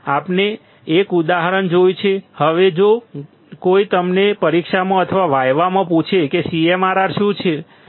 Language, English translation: Gujarati, We have seen an example; now if somebody asks you in an exam or in a viva; that what should the CMRR be